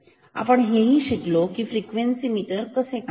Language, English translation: Marathi, We are studying frequency meters and how does the frequency meter works